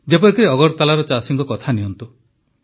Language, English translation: Odia, Take for example, the farmers of Agartala